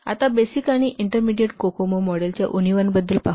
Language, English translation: Marathi, We have discussed the fundamentals of Intermediate Kokomo